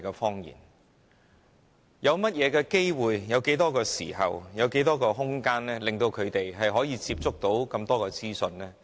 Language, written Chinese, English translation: Cantonese, 他們有甚麼機會、有多少時間和空間可以有機會接觸這麼多資訊？, What opportunity or how much time and leeway do they have to access so much information?